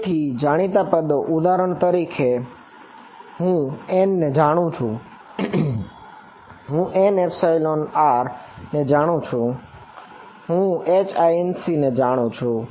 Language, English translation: Gujarati, So, the known terms for example, I know n, I know epsilon r, I know H incident